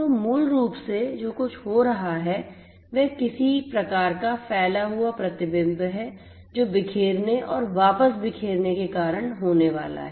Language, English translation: Hindi, So, basically what is happening is some kind of sorry diffuse reflection that is going to happen due to the scattering and the back scattering